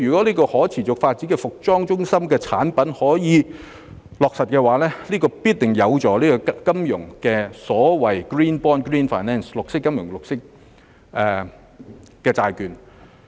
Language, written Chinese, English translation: Cantonese, 如可持續發展服裝中心得以落實的話，必定有助金融業推出所謂 Green Bond 及發展 Green Finance。, The proposal of establishing up a sustainable fashion centre if implemented will certainly facilitate the financial sector in launching the so - called green bonds and developing green finance